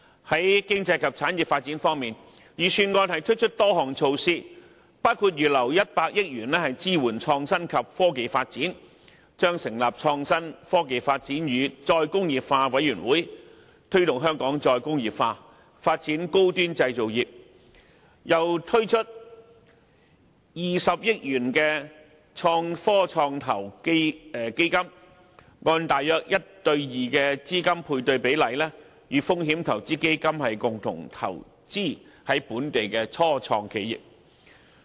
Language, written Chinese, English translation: Cantonese, 在經濟及產業發展方面，預算案推出多項措施，包括預留100億元支援創新及科技發展、成立創新科技及再工業化委員會、推動香港再工業化、發展高端製造業，並推出20億元的創科創投基金，按大約 1：2 的資金配對比例與風險投資基金共同投資於本地的初創企業。, In respect of economic and industrial development a number of measures are proposed in the Budget . They include putting aside 10 billion for supporting IT development in Hong Kong setting up a new committee on IT development and re - industrialization to promote the re - industrialization of Hong Kong and facilitate the development of a high - end manufacturing industry and setting up a 2 billion Innovation and Technology Venture Fund ITVF to co - invest in local IT start - ups with venture capital funds on a matching basis of about one to two